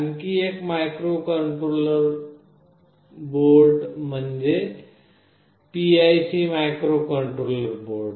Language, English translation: Marathi, Another microcontroller board is PIC microcontroller board